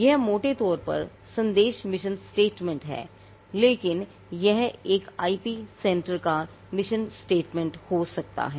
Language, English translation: Hindi, It is very broadly worded message mission statement, but this is something which any IP centre can have as it is mission statement